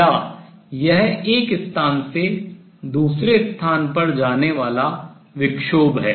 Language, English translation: Hindi, Is it a particle moving from one place to the other